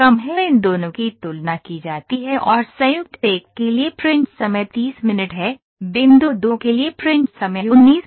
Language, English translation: Hindi, These two are compared and print time for joint one is 30 minutes, print time for point two is 19 minutes